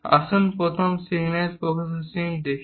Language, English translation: Bengali, Let us look at first signal processing